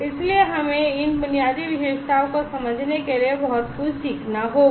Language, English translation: Hindi, So, we have to learn lot of things to understand to these basic features